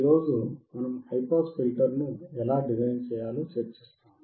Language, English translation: Telugu, Today we will discuss how to design the high pass filter